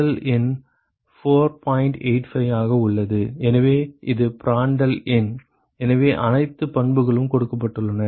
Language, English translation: Tamil, 85 so that is Prandtl number so all the properties are given